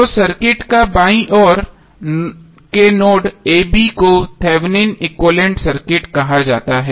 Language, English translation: Hindi, So that circuit to the left of this the node a b is called as Thevenin equivalent circuit